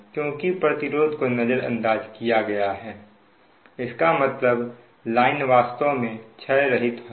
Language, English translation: Hindi, so as resistance is neglected means the line is actually lossless line